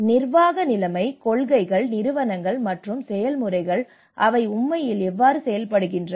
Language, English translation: Tamil, And then the governance situation, the policies, institutions and the processes how they actually work